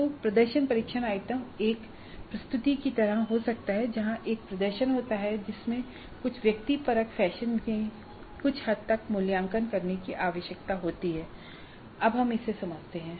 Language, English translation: Hindi, So the performance test item can be something like a presentation where there is a performance and that needs to be evaluated to some extent in some subjective fashion